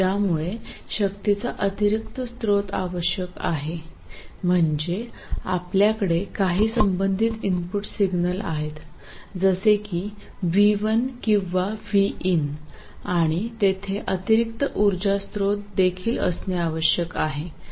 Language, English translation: Marathi, That is, you have some relevant input signal, let's say V1 or V in, and there must also be an additional source of power